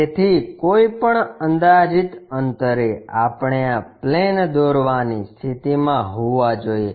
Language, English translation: Gujarati, So, at any arbitrary distance we should be in a position to construct this plane